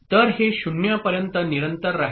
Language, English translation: Marathi, So it will continue to become 0